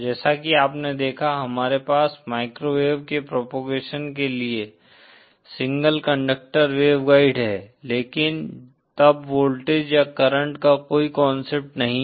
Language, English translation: Hindi, As you saw, we have single conductor wave guides for microwave propagation but then there is no concept of voltage or current